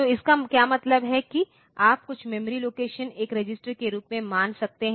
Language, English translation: Hindi, So, what it means is that, you can treat as if the some memory location as it a register also